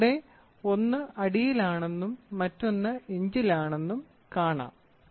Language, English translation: Malayalam, So, you see here one is in feet, the other one is in inches